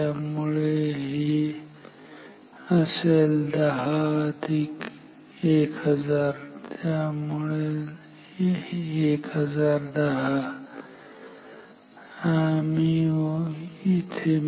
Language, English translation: Marathi, So, this is 10 plus 1,000